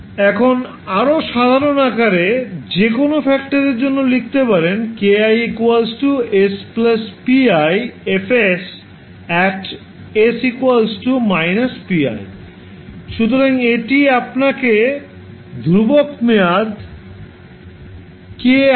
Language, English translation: Bengali, So, now in more general form, you can simply write for any factor k i you can write s plus pi into F s and the whole product will be evaluated at s is equal to minus pi